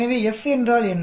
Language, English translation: Tamil, So what is the F